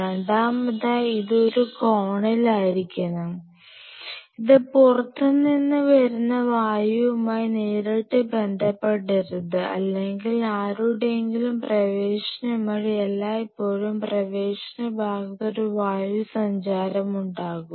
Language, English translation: Malayalam, Secondly, it should be in a corner where this should not be direct contact with the air which is coming directly from outside or you know whose ever is entering there is always a air current which is coming